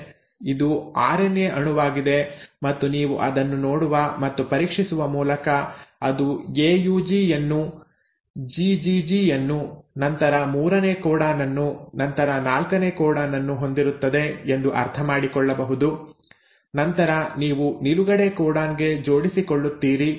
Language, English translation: Kannada, So this is the RNA molecule and by just looking and scanning through it you can understand that it has AUG followed by GGG then the third codon then the fourth codon and then you bump into a stop codon